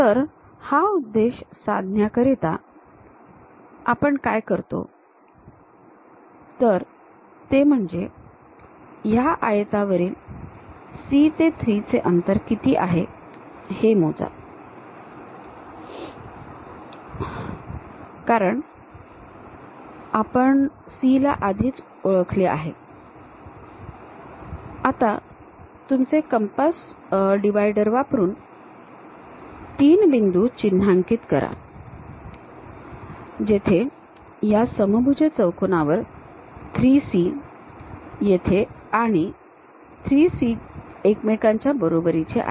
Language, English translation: Marathi, For that purpose the way how we do is, measure what is the distance of C to 3 on this rectangle because we have already identified C, now use your compass dividers to mark three points where 3C here and 3C there are equal to each other on this rhombus